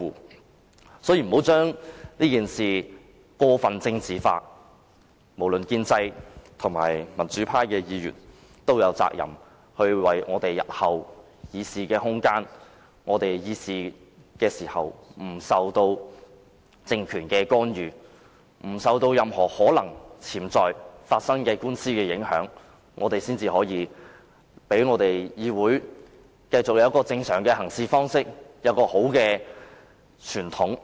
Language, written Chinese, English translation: Cantonese, 大家不要將這件事過分政治化，建制派還是民主派議員皆有責任捍衞我們日後的議事空間，讓我們在議事時不受政權干預，不受任何潛在官司影響，保持議會正常的行事方式和良好的傳統。, Members should not over - politicize this matter . Both the pro - establishment camp and democratic Members are duty - bound to safeguard our room for debate in the future so as to ensure that our discussions are free of any interference from the political regime and influence of any potential lawsuits and to preserve the normal practices and fine tradition of the legislature